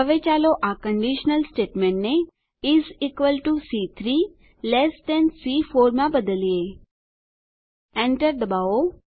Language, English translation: Gujarati, Now let us change this conditional statement to is equal to C3 less than C4 Press Enter